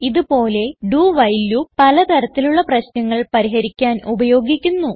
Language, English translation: Malayalam, This way, a do while loop is used for solving a range of problems